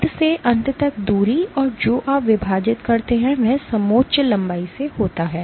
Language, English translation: Hindi, End to end distance and what you divide is by the contour length